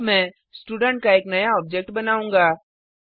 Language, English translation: Hindi, Now, I will create one more object of the Student class